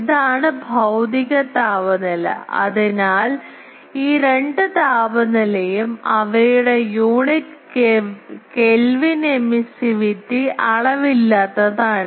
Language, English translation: Malayalam, This is the physical temperature, so both these temperature their unit is Kelvin emissivity is dimensionless